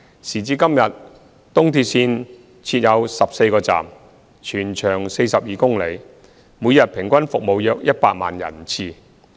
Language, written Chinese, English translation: Cantonese, 時至今日，東鐵線設14個站，全長約42公里，每日平均服務約100萬人次。, As of today ERL is about 42 km in length with 14 stations carrying around 1 million passenger trips daily on average